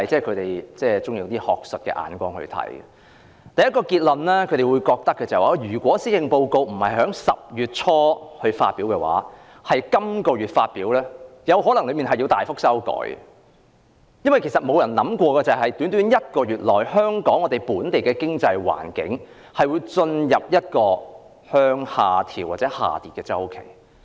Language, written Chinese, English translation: Cantonese, 他們得出的第一個結論是，如果施政報告不是在10月初而是這個月才發表，當中的內容可能要作大幅修改，因為沒人會想到在短短一個月內，本地經濟環境會進入下跌的周期。, Their first conclusion was that if the Policy Address was delivered this month but not early October the content might have to revise substantially because no one would have thought that in just one month the local economic environment has entered a downward cycle